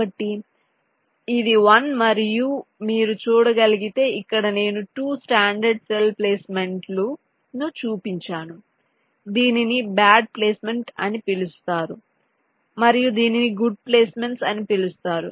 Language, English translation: Telugu, if you can see that i have shown two standard cell placements, this is so called bad placement and this is so called good placements